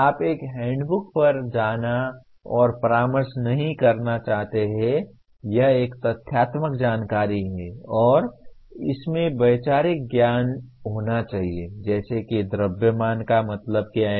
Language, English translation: Hindi, You do not want to go and consult a handbook, that is a factual information and there should be conceptual knowledge like what is meant by mass